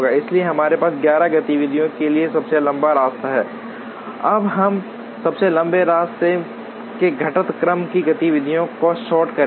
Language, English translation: Hindi, So, these are the longest paths for the 11 activities that we have, now we will sort the activities in the decreasing order of the longest path